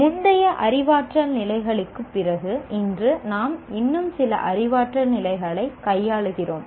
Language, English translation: Tamil, Today we deal with some more cognitive levels after the earlier cognitive levels we looked at